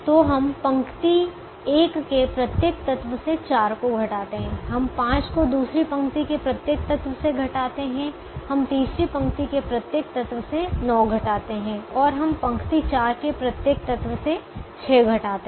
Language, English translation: Hindi, we subtract five from every element of the second row, we subtract nine from every element of the third row and we subtract six from every element of the fourth row